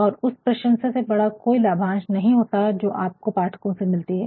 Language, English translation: Hindi, And, there can be no better dividend, then the compliments that you receive from your audience from your readers